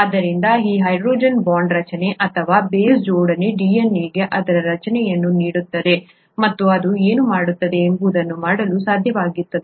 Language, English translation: Kannada, So this hydrogen bond formation or base pairing as it is called, is what gives DNA its structure and it makes it possible to do what it does